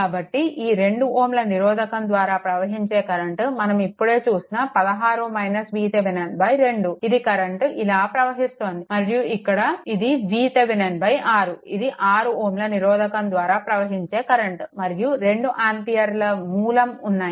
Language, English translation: Telugu, So, current through this, we just saw 16 minus V Thevenin divided by 2; this is the current going and here it is going V Thevenin divided by 6 right, this current resistance 6 ohm and 2 ampere